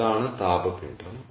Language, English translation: Malayalam, ok, so this is the thermal mass